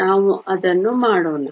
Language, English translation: Kannada, Let us do that